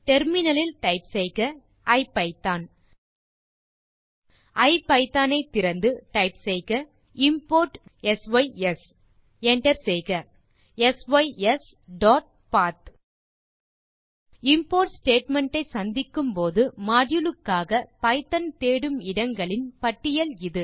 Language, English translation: Tamil, Open IPython and type import sys sys.path This is a list of locations where python searches for a module when it encounters an import statement